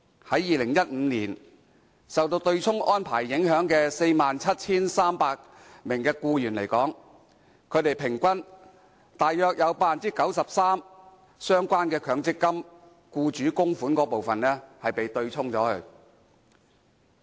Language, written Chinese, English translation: Cantonese, 在2015年受到對沖安排影響的 47,300 名僱員，平均約有 93% 的相關強積金僱主供款部分被對沖。, In 2015 among the 47 300 employees affected by the offsetting arrangement an average of about 93 % of employers contributions were offset